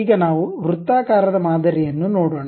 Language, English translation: Kannada, Now, let us look at circular kind of pattern